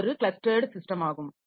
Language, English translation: Tamil, So, this is the clustered system